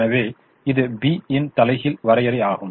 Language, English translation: Tamil, then the b inverse would be here